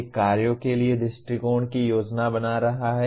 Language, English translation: Hindi, One is planning approaches to tasks